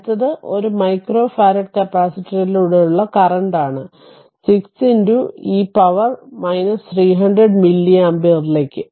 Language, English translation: Malayalam, Next one is it is given that current through a 2 micro farad capacitor is i t is equal to 6 into e to the power minus 3000 milli ampere